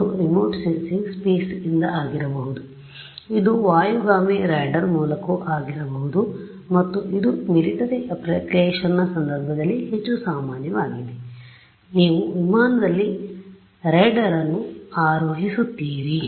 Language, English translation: Kannada, And, this remote sensing could be from space, it could be via an airborne radar as well which is more common in the case of military application, you mount the radar on an aircraft